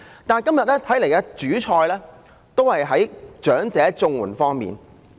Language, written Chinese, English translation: Cantonese, 但是，今天的主菜仍是長者綜援這方面。, But the main course today is still elderly CSSA